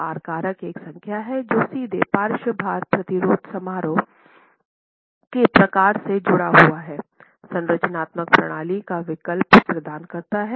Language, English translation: Hindi, The R factor is one number which is linked directly to the type of lateral load resisting function choice of structural system provides